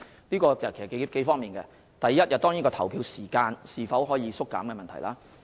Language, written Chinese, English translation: Cantonese, 這涉及數方面的問題，第一，當然是投票時間可否縮減的問題。, This matter involves several issues the first of which of course is whether the polling hours can be shortened